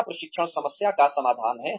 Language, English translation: Hindi, Is training, the solution to the problem